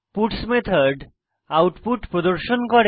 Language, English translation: Bengali, The puts method will display the output